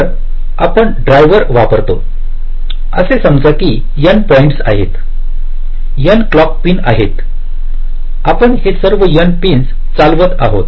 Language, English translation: Marathi, so, going back, so we use a drive, let us say n points, there are n clock pins